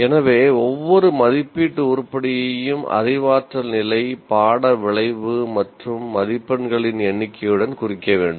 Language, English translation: Tamil, So every assessment item should be tagged with cognitive level and the course outcome and the number of marks